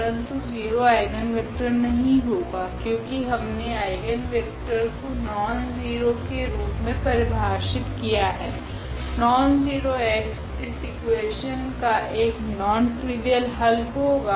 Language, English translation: Hindi, But, 0 is not the eigenvector because the eigenvector we define as the nonzero, nonzero x the non trivial solution of this equation